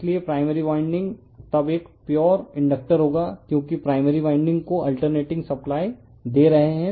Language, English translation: Hindi, So, primary winding then will be a pure inductor because we are giving alternating supply to the primary winding